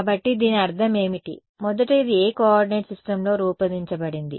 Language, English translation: Telugu, So, what does this mean, first of all what coordinate system is this plotted in